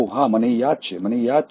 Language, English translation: Gujarati, yeah, I remember, I remember